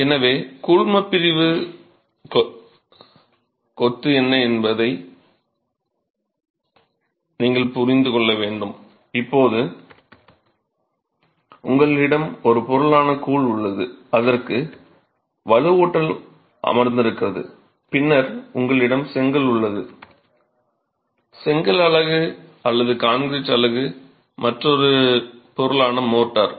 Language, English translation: Tamil, And now you have the grout which is one material within which the reinforcement is sitting and then you have the brick along with the brick unit or the concrete unit along with the motor which is another material